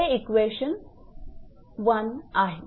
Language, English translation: Marathi, This is equation 1 this is equation 1